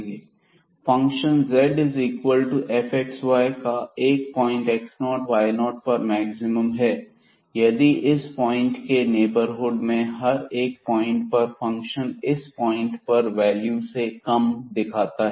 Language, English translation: Hindi, So, a functions z is equal to f x y has a maximum at the point x 0 y 0 if at every point in a neighborhood of this point the function assumes a smaller values then the point itself